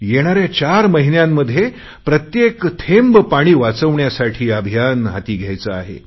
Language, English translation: Marathi, The coming four months should be transformed into a Save the Water Campaign, to save every drop of water